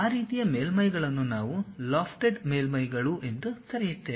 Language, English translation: Kannada, That kind of surfaces what we call lofted surfaces